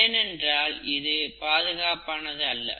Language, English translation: Tamil, It's not very safe